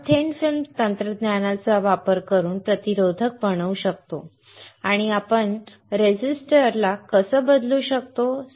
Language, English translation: Marathi, We can make a resistor using thin film technology and how can we change the resistivity